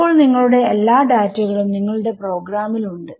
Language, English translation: Malayalam, So, now, all your data is in your program